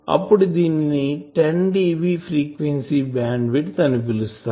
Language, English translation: Telugu, So, that will be called a 10dB frequency bandwidth